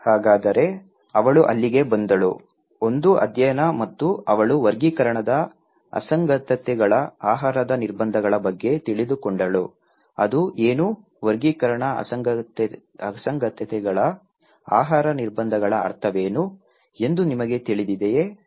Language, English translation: Kannada, So, then she came there was a study and she came to know about the Taxonomic anomalies dietary restrictions, what is that, do you know what is the meaning of taxonomic anomalies dietary restrictions